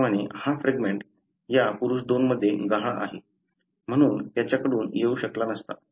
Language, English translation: Marathi, Likewise, this fragment missing in this individual 2, so could not have come from him